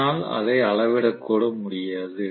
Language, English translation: Tamil, I cannot even measure it